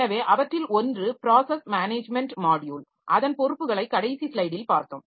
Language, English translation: Tamil, So, one of them is the process management module that we have seen its responsibilities in the last slide